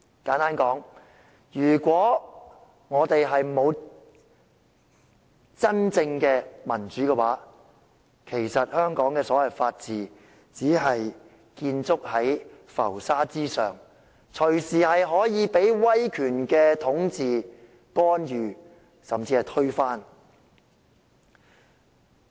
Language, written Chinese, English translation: Cantonese, 簡單來說，如果沒有真正的民主，其實香港所謂的法治只是建築在浮沙之上，隨時可以被威權統治、干預，甚至推翻。, Simply put without genuine democracy the so - called rule of law in Hong Kong is built on quicksand subject to authoritarian rule interference and even eradication at any moment